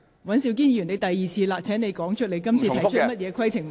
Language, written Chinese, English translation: Cantonese, 尹兆堅議員，你已經是第二次提出問題，請指出你要提出的規程問題。, Mr Andrew WAN you are raising a question for the second time . Please state the point of order you are raising